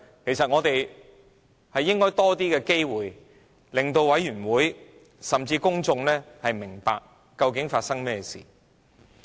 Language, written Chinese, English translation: Cantonese, 其實，我們應有更多的機會，令法案委員會委員甚至公眾明白究竟發生甚麼事。, In fact we should have more opportunities to enable members of the Bills Committee and even members of the public to understand what is happening